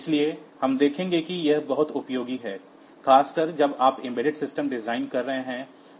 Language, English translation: Hindi, So, we will see that this is very much useful particularly when you are designing embedded systems